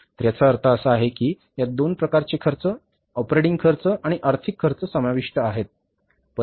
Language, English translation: Marathi, So, it means it includes two kinds of expenses, operating expenses and financial expenses